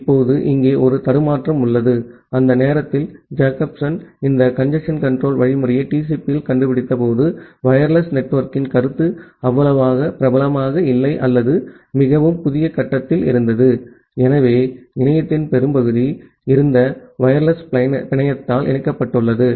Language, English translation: Tamil, Now, here there is a glitch, remember that during that time, when Jacobson invented this congestion control algorithm in TCP, the notion of wireless network was not that much popular or it was just in a very nascent stage, so most of the internet was connected by the wired network